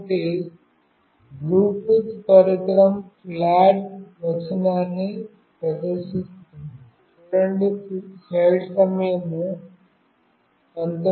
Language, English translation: Telugu, So, Bluetooth will display a text like the device is flat, etc